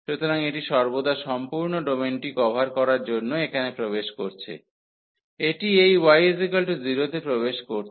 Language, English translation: Bengali, So, it is entering here always for covering the whole domain, it is entering at this y is equal to 0